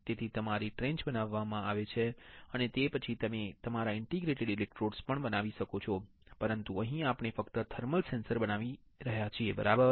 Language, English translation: Gujarati, So, your trench are created and then on that you can also create your interdigitated electrodes, but here we just showing the thermal sensors, right